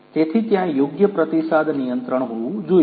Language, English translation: Gujarati, So, so proper feedback control in place has to be there